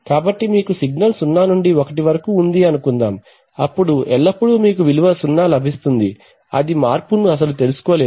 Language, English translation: Telugu, So suppose 0 to 1 if you have a signal then always you will get the value 0, it will, the variation will not be caught at all